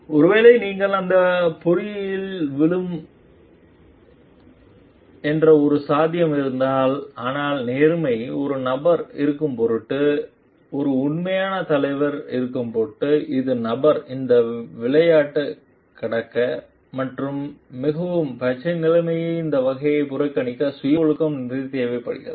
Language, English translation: Tamil, If there is a like maybe a possibility that you fall into that trap, but in order to be an authentic leader in order to be a person of integrity it requires a lot of lot of self discipline for the person to overcome this game to like ignore this type of situation so green